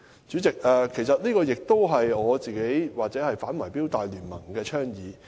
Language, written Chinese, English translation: Cantonese, 主席，這亦是我本人或"全港業主反貪腐反圍標大聯盟"的倡議。, President this is also advocated by the Property Owners Anti - bid Rigging Alliance and me